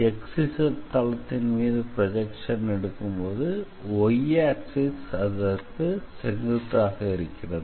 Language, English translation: Tamil, So, if you are taking the projection on XZ plane then basically y axis is perpendicular